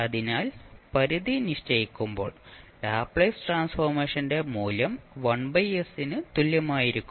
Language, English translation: Malayalam, So, when you put the limit you will get the value of Laplace transform equal to 1 by s